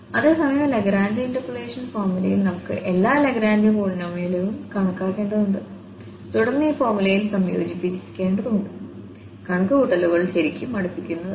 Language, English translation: Malayalam, And whereas, in the Lagrange interpolation formula we have to compute all the Lagrange polynomials and then we have to combine in this formula and the calculations were really tedious